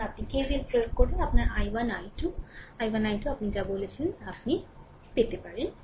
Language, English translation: Bengali, Now, you apply KVL to get your i your what you call i 1 and i 2 i 1 i 2 same